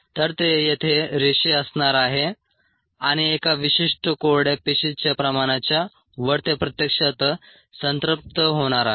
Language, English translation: Marathi, so it is going to be linear here and above a certain dry cell concentration it is actually going to saturate